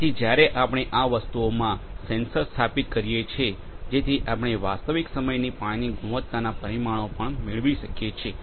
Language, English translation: Gujarati, So, when we installed these sensors in these things; so, they we will be able to getting the real time water quality parameters as well